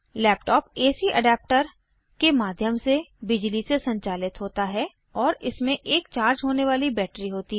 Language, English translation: Hindi, A laptop is powered by electricity via an AC adapter and has a rechargeable battery